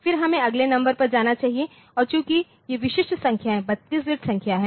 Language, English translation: Hindi, And, then after that so, now, I should go to the next number and since these individual numbers are 32 bit number